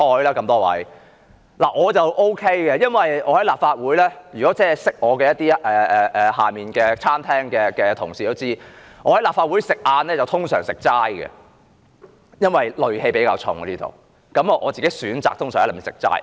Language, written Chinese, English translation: Cantonese, 我個人可以這樣，認識我的、在大樓地下餐廳工作的同事也知道，我的午餐一般是齋菜，因為立法會戾氣比較重，我個人通常選擇吃齋菜。, People who know me and colleagues working in the cafeteria on the ground floor of the Legislative Council Complex understand that I usually have vegetarian lunch . There is a rather strong sense of brutality in this Council so I personally choose to eat vegetarian dishes usually